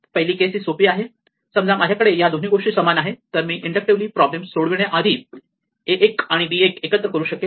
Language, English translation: Marathi, The first case is the easy case, supposing I have these two things are equal then like before I can inductively solve the problem for a 1 and b 1 onwards and add this